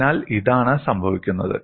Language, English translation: Malayalam, So, this is what happens